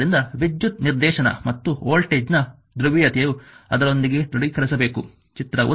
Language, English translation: Kannada, So, direction of current and polarity of voltage must confirm with those shown in figure 1